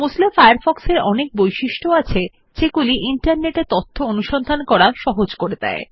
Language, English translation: Bengali, Mozilla Firefox has a number of functionalities that make it easy to search for information on the Internet